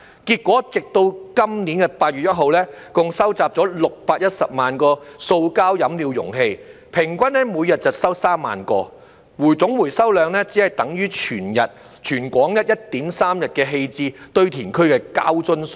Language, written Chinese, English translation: Cantonese, 結果，直到今年8月1日，共收集了610萬個塑膠飲料容器，平均每日收集3萬個，總回收量只等於全港 1.3 日棄置堆填區的膠樽數量。, As a result by 1 August this year a total of 6.1 million plastic beverage containers were collected an average of 30 000 bottles per day . Yet the total recovery volume was only equal to the number of plastic bottles disposed of at landfills in Hong Kong for 1.3 days